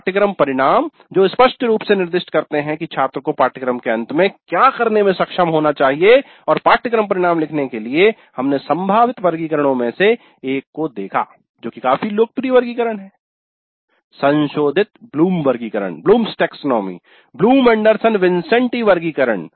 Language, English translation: Hindi, So we saw the concept map and course outcomes then it's very extremely important activity, course outcomes which clearly specify what the students should be able to do at the end of the course and we looked at one of the possible taxonomies, quite popular taxonomy, revised Bloom's taxonomy, Bloom Anderson Bincente taxonomy for writing the course outcomes